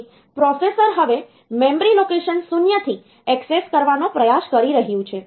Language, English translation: Gujarati, So, the memory as if the processor is now trying to access from memory location 0